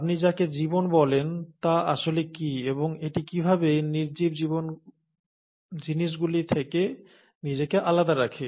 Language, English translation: Bengali, What is it that you call ‘life’ and how is it sets itself apart from non living things